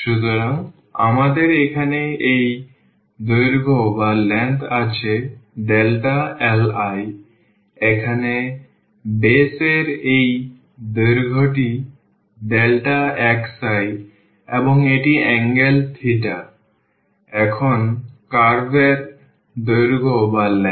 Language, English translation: Bengali, So, we have this length here delta l I, this length here in the base here is delta x i and this is the angle theta, now the length of the curve